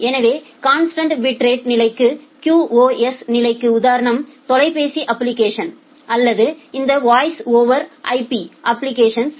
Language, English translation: Tamil, So, the example of constant bit rate requirement QoS requirement is telephone application or these voice over IP application